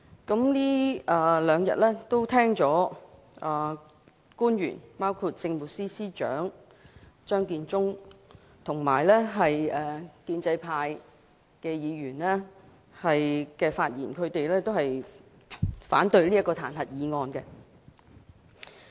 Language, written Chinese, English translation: Cantonese, 這兩天聽到包括政務司司長張建宗在內的官員及建制派議員的發言，都反對彈劾議案。, In these two days the Chief Secretary for Administration Matthew CHEUNG and pro - establishment Members have spoken to oppose the impeachment motion